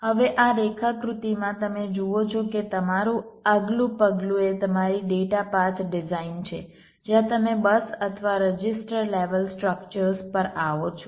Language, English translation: Gujarati, now in this diagram you see that your next step is your data path design where you come to the bus or the register levels, structures